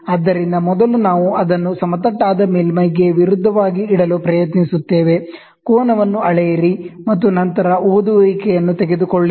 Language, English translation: Kannada, So, first we try to put it as against the flat surface, measure the angle and then try to take the reading